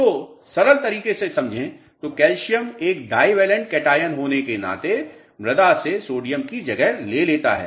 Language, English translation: Hindi, So, simple understanding is calcium being a divalent cation replaces sodium from the soil mass